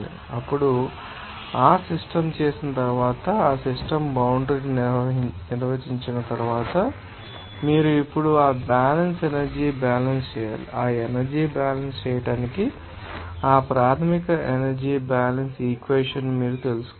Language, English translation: Telugu, Then, after doing that system or defining that system boundary, you have to do that balance energy balance now, to do that energy balance, you have to you know that basic energy balance equation